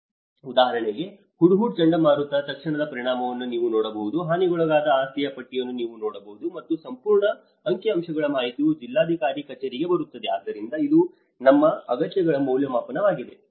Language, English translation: Kannada, Like for example, you can see in the immediate impact of the cyclone Hudhud, you can see the list of property damaged and the whole statistical information come to the district collectorate, so this is what our needs assessment is all about